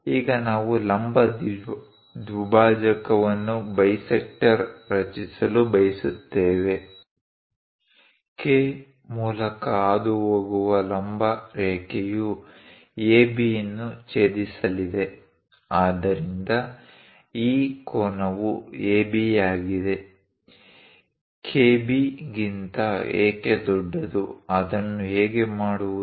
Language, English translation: Kannada, Now, what we would like to do is; construct a perpendicular bisector, perpendicular line passing through K, which is going to intersect AB; so that this angle is AB; AK is greater than KB; how to do that